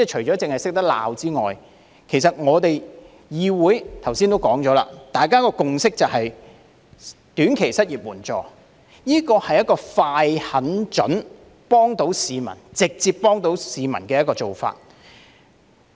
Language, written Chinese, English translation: Cantonese, 正如剛才指出，議會的共識就是設立短期失業援助，這是一個"快、狠、準、幫到市民"——是直接幫到市民——的做法。, As pointed out earlier it is the consensus of the legislature to request for the provision of short - term unemployment assistance which is a quick decisive precise and helpful approach to provide direct assistance to the public